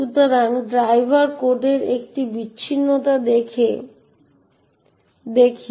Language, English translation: Bengali, So, let us look at a disassembly of the driver code